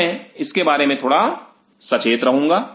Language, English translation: Hindi, So, I will be I will be little cautious on it